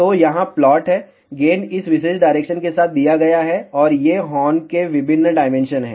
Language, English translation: Hindi, So, here is the plot gain is given along this particular direction, and these are the different dimensions of the horn